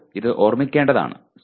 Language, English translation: Malayalam, Now this is what one has to keep in mind